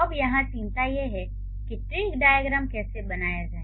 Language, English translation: Hindi, So, now the concern here is how to draw tree diagram